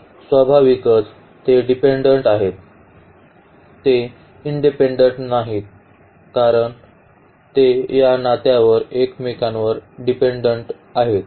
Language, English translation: Marathi, So, naturally they are dependent, they are not independent and they depend on each other with this relation